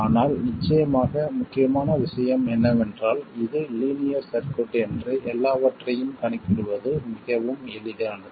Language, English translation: Tamil, But of course the important thing is to note that this is a linear circuit, everything is very easy to calculate